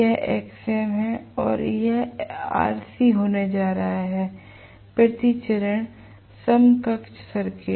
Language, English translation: Hindi, This is going to actually be my xm and this is going to be rc, right per phase equivalent circuit